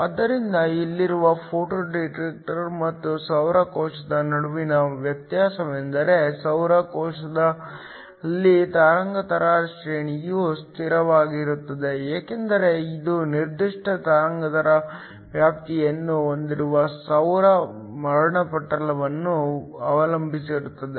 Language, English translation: Kannada, So, The difference between a photo detector here and in the case of a solar cell is that in a solar cell the wavelength range is sort of fixed because it depends upon the solar spectrum that has a specific wavelength range